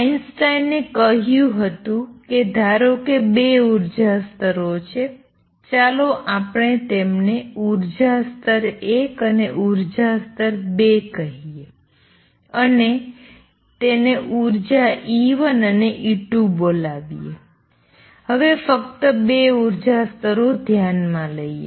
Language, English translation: Gujarati, So, let us see what happens, what Einstein did what Einstein said was suppose there are 2 energy levels let us call them with energy level 1 level 2 with energy E 1 and E 2 right now just consider 2 levels